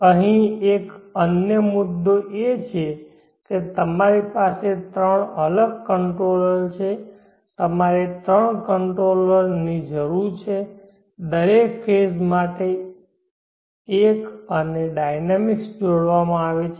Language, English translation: Gujarati, Another issue here is that you have 3 separate controllers, you need 3 controllers one for each phase and the dynamics are coupled